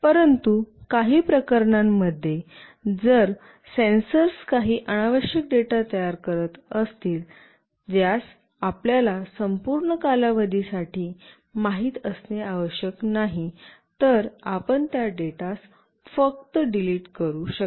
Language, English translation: Marathi, But, in some cases, if the sensors are generating some unnecessary data which need not have to kept for you know for all the period, then you can simply delete those data